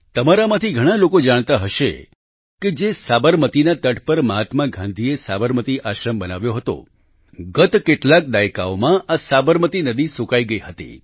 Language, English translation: Gujarati, Many of you might be aware that on the very banks of river Sabarmati, Mahatma Gandhi set up the Sabarmati Ashram…during the last few decades, the river had dried up